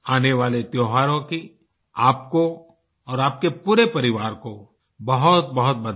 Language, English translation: Hindi, My best wishes to you and your family for the forthcoming festivals